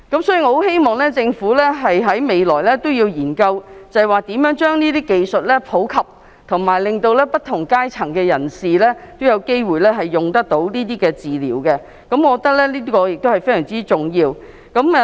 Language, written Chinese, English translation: Cantonese, 所以，我希望政府日後研究如何將這些技術普及，令不同階層的人都有機會接受這些治療，我覺得這是非常重要的。, I thus hope that the Government will explore how to make these medical technologies available to people of all social strata . I think that this is very important